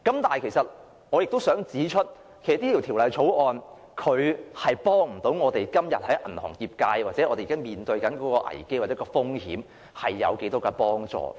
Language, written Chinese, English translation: Cantonese, 但是，我亦想指出，《條例草案》無法為銀行業界或我們現時面對的危機或風險帶來多少幫助。, However I also wish to point out that the Bill is unable to bring much help to the crises or risks currently faced by us or the banking industry